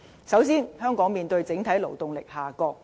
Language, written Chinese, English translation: Cantonese, 首先，香港面對整體勞動力下降。, First the workforce in Hong Kong is shrinking